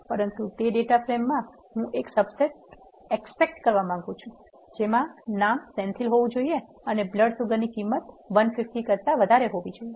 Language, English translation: Gujarati, But in that data frame what I want to extract is a subset where the name has to be Senthil or the blood sugar value has to be greater than 150